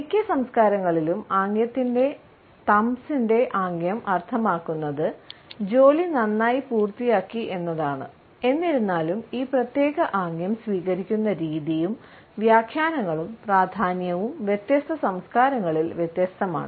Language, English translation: Malayalam, Thumbs of gesture in most of the cultures means; that the job has been completed nicely; however, the pattern in which this particular gesture is taken up and the interpretations and emphases are also different in different cultures